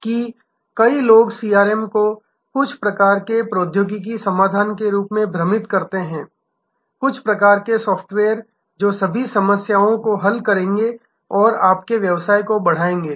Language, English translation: Hindi, That many people confuse CRM as some sort of technology solution, some sort of software which will solve all problems and grow your business